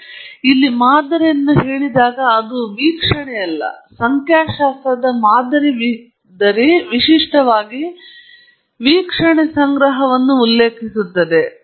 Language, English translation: Kannada, When I say sample here it is not one observation, a sample in statistics typically refers to collection of observations